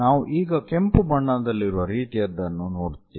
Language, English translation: Kannada, What we will going to see is something like a red one